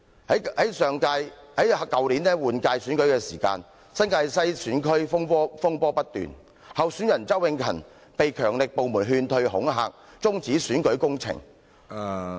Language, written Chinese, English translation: Cantonese, 在去年立法會換屆選舉時，新界西選區風波不斷，候選人周永勤被強力部門勸退、恐嚇，中止選舉工程......, During the Legislative Council Election last year the New Territory West geographical constituency was mired in disputes after one of the candidates Mr Ken CHOW was coerced to withdraw from the race by powerful agencies